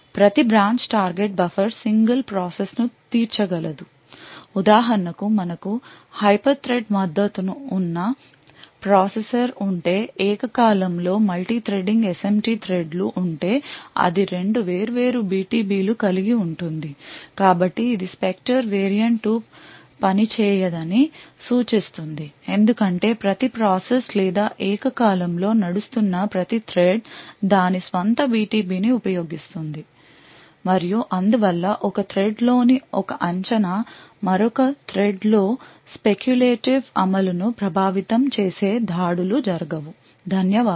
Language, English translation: Telugu, Each branch target buffer would cater to single process so for example if we had a processer with hyperthread supported, Simultaneously Multithreading SMT threads then that would be two separate BTBs that are present so this would imply that the Spectre variant 2 will not work because each process or each thread which is running simultaneously would be using its own BTB and therefore the attacks where one prediction in one thread affecting speculative execution in another thread will not happen, thank you